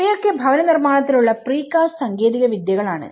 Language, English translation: Malayalam, These are all the precast technologies in housing